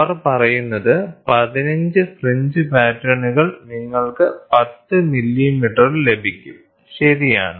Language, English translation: Malayalam, So, what they say they say 15 fringe patterns, you get in the 10 millimeter, right